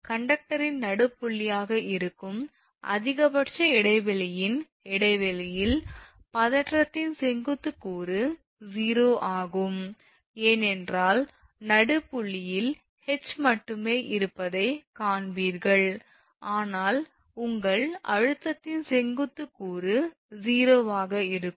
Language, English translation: Tamil, At the point of maximum sag that is the mid span that is the midpoint of the conductor the vertical component of the tension is 0, because there at the midpoint you will find only H exists, but vertical component your of the tension will be 0